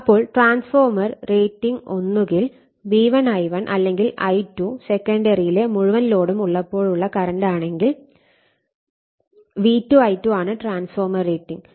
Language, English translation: Malayalam, Now, transformer rating is either V1 I1 or V2 I2 when I2 is the full load say secondary current